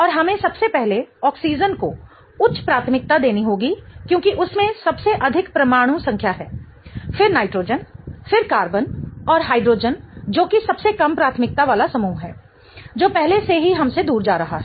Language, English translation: Hindi, What we have here is first we have to assign priorities for this compound and we have to first give oxygen the high priority because that has the highest atomic number, then the nitrogen, then the carbon and hydrogen which is the least priority group is already going away from us